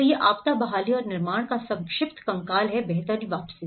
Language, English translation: Hindi, So, this is the brief skeleton of the disaster recovery and build back better